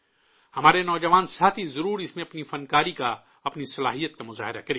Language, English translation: Urdu, Our young friends must showcase their art, their talent in this